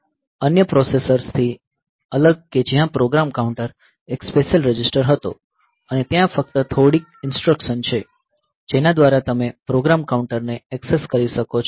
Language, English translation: Gujarati, So, unlike other processors that we are familiar with where the program counter was a special register and there are only a few instructions by which you can access the program counter